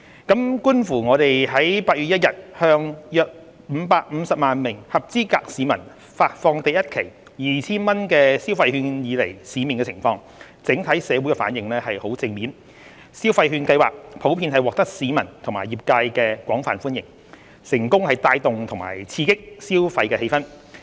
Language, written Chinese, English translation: Cantonese, 觀乎我們於8月1日向約550萬名合資格市民發放第一期 2,000 元消費券以來市面的情況，整體社會的反應十分正面，消費券計劃普遍獲得市民及業界廣泛歡迎，成功帶動及刺激消費氣氛。, As observed after the first 2,000 consumption voucher was disbursed to about 5.5 million eligible persons on 1 August the overall response from the community is very positive . The Scheme is generally welcomed by the public and businesses and has successfully boosted and stimulated consumer sentiment